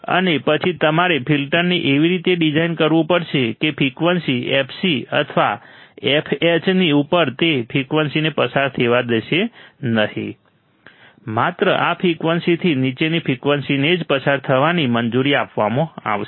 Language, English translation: Gujarati, And then you have to design the filter such that above the frequency fc or fh, it will not allow the frequency to pass; only frequencies below this frequency will be allowed to pass